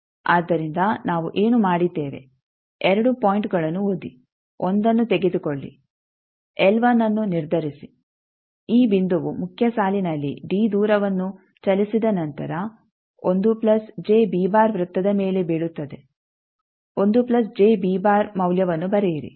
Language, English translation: Kannada, So, what we have done read the 2 points take 1 determine l 1 this point after moving a distance d in the main line will fall on 1 plus j b circle note 1 plus j b value